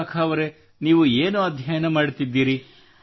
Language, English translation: Kannada, Vishakha ji, what do you study